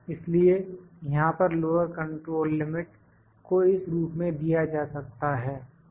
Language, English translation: Hindi, So, this lower control limit remains the same